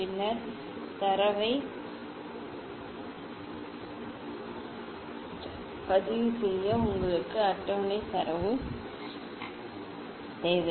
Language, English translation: Tamil, then you need table data table for recording the data